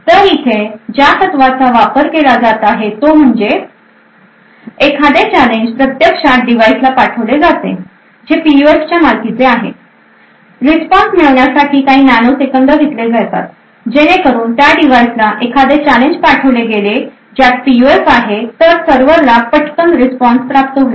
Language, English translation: Marathi, So the fact that is actually use over here is that is for a particular challenge that is sent to the actual device that owns the right PUF, obtaining the response will just take a few nanoseconds therefore, if a challenge is sent to the device which actually has the PUF the server would obtain the response very quickly